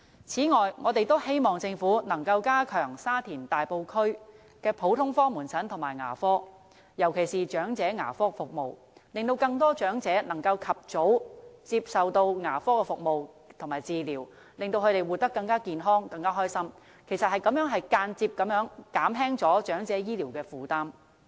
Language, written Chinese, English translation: Cantonese, 此外，我們也希望政府能夠加強沙田、大埔區的普通科門診和牙科服務，尤其是長者牙科服務，令更多長者能夠及早接受牙科服務和治療，使他們活得更健康和快樂，也間接減輕長者醫療的負擔。, Furthermore we also expressed our hope that the Government could strengthen its general outpatient service and dental service in Sha Tin and Tai Po particularly dental service for the elderly so that more elderly people could receive dental service and treatment in good time led healthier and happier lives and thereby indirectly reducing their medical burden